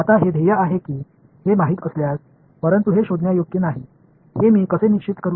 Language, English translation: Marathi, Now, if know that is the goal, but how do I make sure that it is not detectable